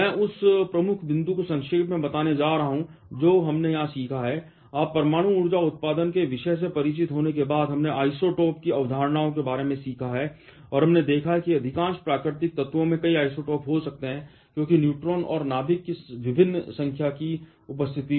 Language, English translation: Hindi, I am going to summarize the key point that we have learnt here, you are after getting introduced to the topic of nuclear power generation, we have learned about the concepts of isotopes and we have seen that most of the natural elements can have several isotopes because of the presence of the different number of neutrons and the nucleus